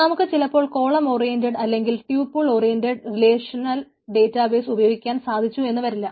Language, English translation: Malayalam, so we may not be able to follow the this column oriented or tuple oriented relational database